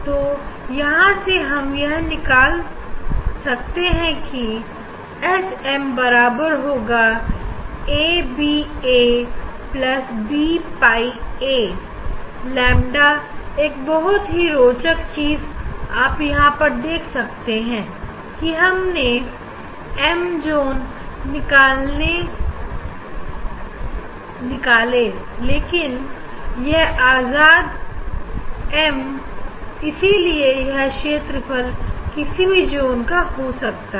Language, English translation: Hindi, so from here you can find out that S m equal to a by a plus b pi b lambda one interesting thing you can see that, although we have found the area of the m th zone, but this is independent of m